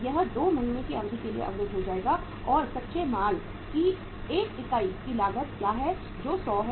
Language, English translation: Hindi, It will be blocked for a period of 2 months and what is the cost of 1 unit of raw material that is 100